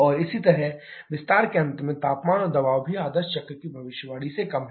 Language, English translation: Hindi, And similarly, the temperature and pressure at the end of expansion is also lower than the idea cycle prediction